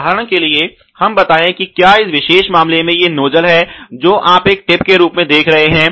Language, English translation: Hindi, For example, let us say if the nozzle in this particular case as you are seeing as a tip right